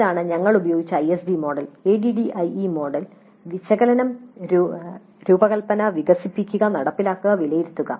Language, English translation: Malayalam, This is the ISD model that we have used at a model, analysis, design, develop and implement and evaluate